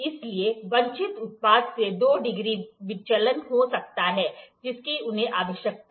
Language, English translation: Hindi, So, there is there might be two degree a deviation from the desired product that they need